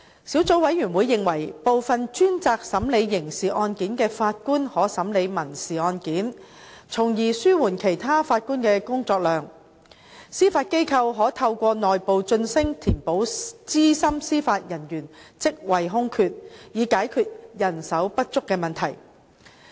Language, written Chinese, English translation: Cantonese, 小組委員會認為，部分專責審理刑事案件的法官可審理民事案件，從而紓緩其他法官的工作量；司法機構可透過內部晉升填補資深司法人員職位空缺，以解決人手不足的問題。, The Subcommittee considered that some Judges who specialize in handling criminal cases can hear civil cases to relieve the workload of other Judges; the Judiciary can fill senior judicial positions through internal promotion to address the manpower shortage